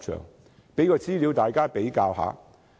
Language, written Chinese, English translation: Cantonese, 我提供一些資料供大家比較。, Let me provide some information for comparison